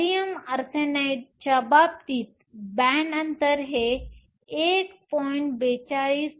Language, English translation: Marathi, In the case of gallium arsenide, the band gap is 1